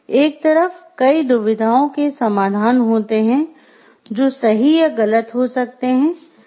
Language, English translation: Hindi, On one hand, many dilemmas have solutions which are either right or wrong